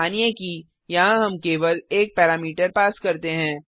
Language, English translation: Hindi, Suppose here we pass only one parameter